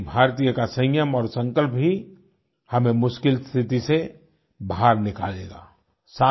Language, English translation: Hindi, The determination and restraint of each Indian will also aid in facing this crisis